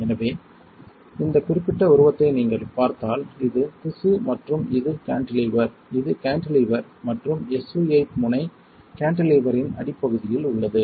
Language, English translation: Tamil, So, if you see this particular figure this is the tissue and this is the cantilever, this one is cantilever and the SU 8 tip is in the bottom of the cantilever